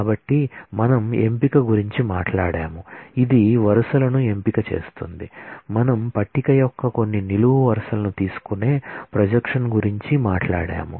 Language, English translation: Telugu, So, we talked about selection, which takes rows selectively we talked about projection which takes out certain columns of a table